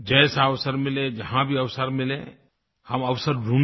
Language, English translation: Hindi, Whenever and wherever possible, let's look for the opportunity